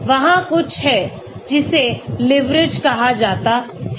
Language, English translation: Hindi, There is something called leverage